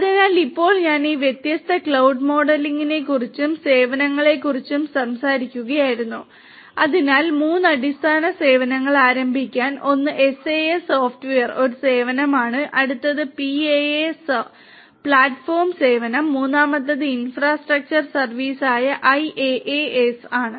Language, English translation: Malayalam, So, now I was talking about all these different cloud models and the services, so there are to start with there were three fundamental services one is the SaaS Software as a Service, the next one is PaaS which is Platform as a Service, and the third one is IaaS which is the Infrastructure as a Service